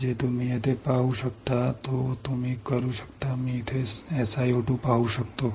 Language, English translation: Marathi, That you can what you can see here, I can see here SiO 2